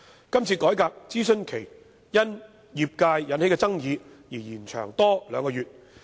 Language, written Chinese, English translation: Cantonese, 這次改革的諮詢期因業界的爭議而延長兩個月。, Due to controversy in the industry the consultation period of this reform was extended by two months